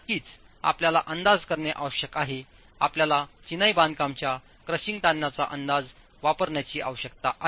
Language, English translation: Marathi, Of course, you need to make an estimate, you need to use an estimate of the crushing strain of masonry